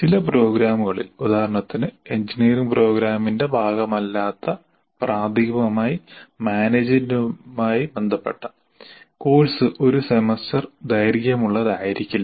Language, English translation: Malayalam, In some programs, for example, especially related to management, not as part of engineering program outside, the course may not be a one semester duration